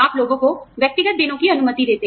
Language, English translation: Hindi, You allow people, personal days off